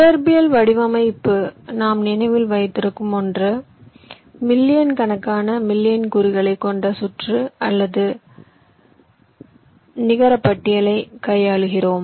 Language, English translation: Tamil, because one thing we remember: in physical design we are tackling circuit or netlist containing millions of millions of components